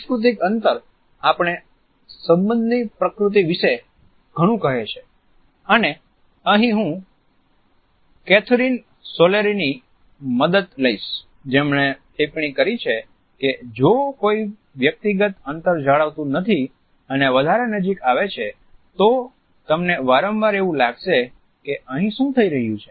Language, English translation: Gujarati, Cultural space tells us a lot “about the nature of a relationship” and here I would like to quote Kathryn Sorrell who has commented “so, if someone comes more into a personal space, then you are used to you can often feel like, ‘what is happening here